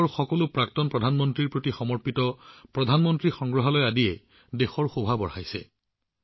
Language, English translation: Assamese, Museum dedicated to all the former Prime Ministers of the country is also adding to the beauty of Delhi today